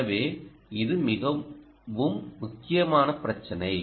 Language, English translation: Tamil, so that is a very critical problem